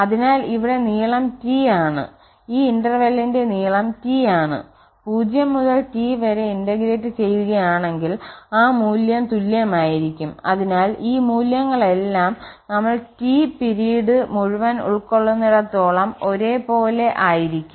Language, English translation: Malayalam, So, here the length is T here, also the length of this interval is T and that value will be same if we integrate from 0 to T so in the whole this period T so this all these values will be same as long as we have the we are covering the whole period T